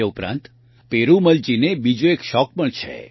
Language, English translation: Gujarati, Apart from this, Perumal Ji also has another passion